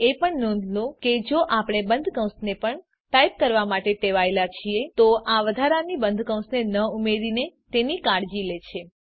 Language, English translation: Gujarati, Also note that if we are accustomed to type the closing parenthesis also, then it takes care of it by not adding the extra closing parenthesis